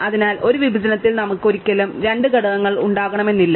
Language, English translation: Malayalam, So, we never have maybe two elements in a partition